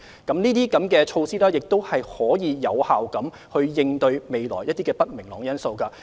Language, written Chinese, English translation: Cantonese, 這些措施亦可以有效應對未來一些不明朗因素。, These measures can also effectively help us face the uncertainties in the future